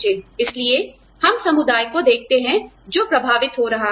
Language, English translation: Hindi, So, we look at the community, that is being affected